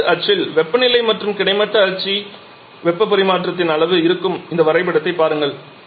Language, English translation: Tamil, Just look at this diagram where we are having temperature on the vertical axis and amount of heat transfer in the horizontal axis